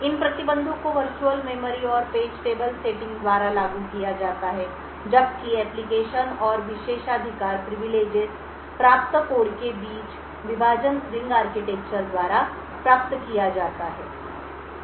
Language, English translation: Hindi, These restrictions are enforced by the virtual memory and page tables setting while the partitions between the applications and privileged codes are achieved by the ring architecture